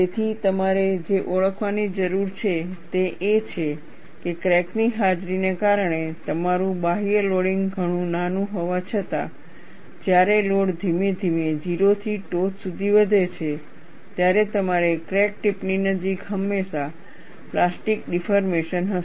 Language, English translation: Gujarati, So, what you have to recognize is, even though your external loading is much smaller, because of the presence of a crack, when the load is increased gradually from to 0 to peak, invariably, you will have plastic deformation near the crack tip